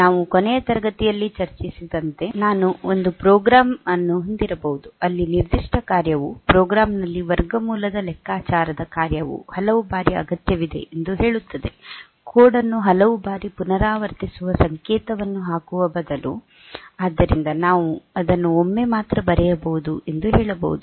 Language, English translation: Kannada, Like, in the last class we are telling, that in my I may have a program, where the particular function say the square root calculation function is required several times in the program, instead of putting it putting the code several times repeating the code several times